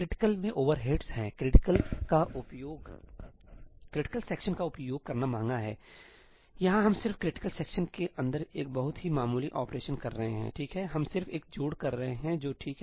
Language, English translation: Hindi, Critical has overheads; using critical sections is expensive; here we are just doing a very very minor operation inside the critical region, right, we are just doing one addition which is fine